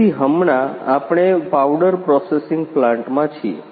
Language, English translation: Gujarati, So, right now we are in the powder processing plant